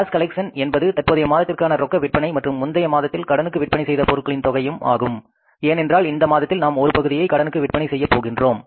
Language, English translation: Tamil, Cash collection includes the current month's cash and the sales plus previous month's credit sales because in this month also we are going to sell partly on cash